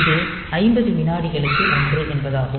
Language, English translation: Tamil, So, this is 1 by 50 second